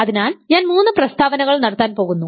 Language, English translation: Malayalam, So, I am going to make three statements